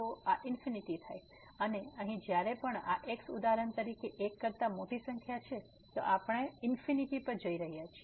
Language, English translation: Gujarati, So, this becomes infinity and here whenever this is for example, large number greater than 1, then this term is also going to infinity